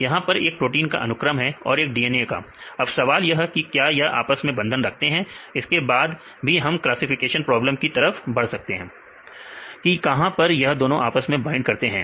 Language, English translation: Hindi, So, protein as one sequence and DNA as a sequence and which is the sequence the question is whether it is binding or not then we can see such a classification problem whether where it we can bind